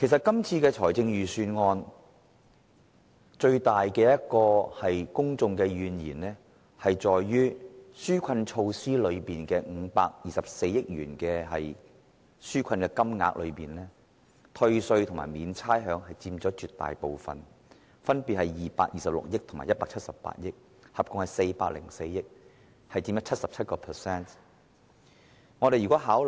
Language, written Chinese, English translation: Cantonese, 公眾對今年預算案最大的怨言，在於紓困措施涉及的524億元，絕大部分用於寬減稅款及豁免差餉，兩者所佔款額分別是226億元及178億元，合共404億元，佔 77%。, The publics greatest grievance about the Budget is that of the 52.4 billion on relief measures a large proportion 77 % is spent on tax reduction and rates exemption amounting to 22.6 billion and 17.8 billion respectively totalling 40.4 billion